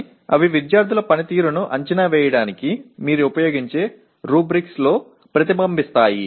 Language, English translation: Telugu, But provided they do get reflected in the rubrics you use for evaluating the student performance